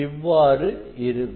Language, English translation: Tamil, this is the normal